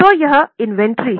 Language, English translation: Hindi, So, this is what is inventory